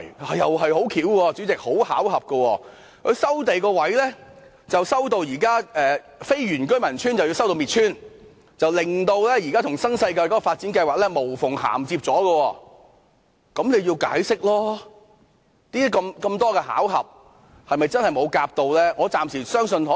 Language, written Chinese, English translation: Cantonese, 主席，這亦十分巧合，現時收地範圍涵蓋非原居民的居所，令他們遭到"滅村"，而現時新世界的發展計劃卻可以無縫銜接，這樣就需要解釋，如此多巧合，是否真的沒有事前商討呢？, President what a coincidence . The present scope of land resumption covers the homes of non - indigenous villagers causing the demolition of their village while the development plan of NWD can now achieve seamless connection . This warrants an explanation